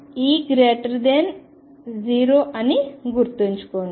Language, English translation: Telugu, Keep in mind that E is greater than 0